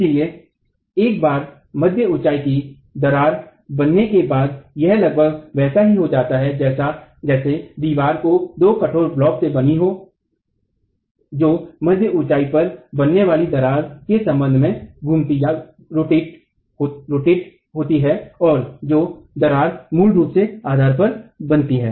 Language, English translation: Hindi, So, once the mid height crack has formed, it's almost like the wall is composed of two rigid blocks rotating about the crack that is formed at the mid height and the crack that's originally formed at the base itself